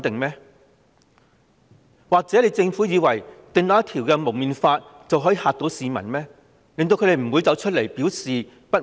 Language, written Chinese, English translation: Cantonese, 又或是以為訂立《禁止蒙面規例》，便可嚇怕市民，令他們不敢再出來表示不滿？, Or does it think that making the Prohibition on Face Covering Regulation can scare the people and stop them from coming out to air their grievances?